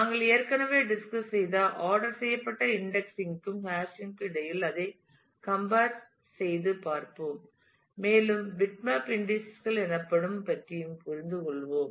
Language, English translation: Tamil, And we will then compare it between the ordered indexing that we have discussed already and hashing and we will also understand about what are called bitmap indices